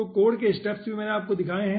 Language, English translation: Hindi, so the steps of the code also i have explain